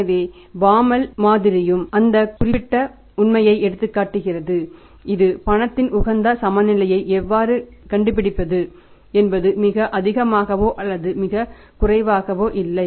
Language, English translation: Tamil, So, Bomel's model also highlights that particular fact that how to find out the optimum balance of cash which is neither too high nor it is too low